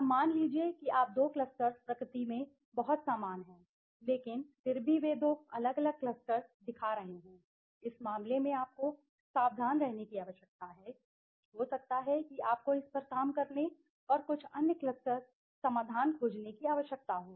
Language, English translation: Hindi, Now suppose you find the two clusters are very similar in nature but still they are showing two different clusters in that case you need to be careful that may be you may need to work on it and find some other cluster solutions okay